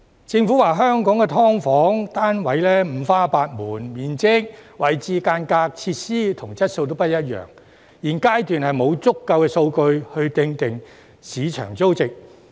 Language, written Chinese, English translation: Cantonese, 政府表示香港的"劏房"單位五花八門，面積、位置、間隔、設施和質素都不一樣，現階段沒有足夠數據訂定市場租值。, According to the Government there is a wide variety of SDUs in Hong Kong with different sizes locations partitions facilities and quality . At this stage there is not enough data to determine the market rental value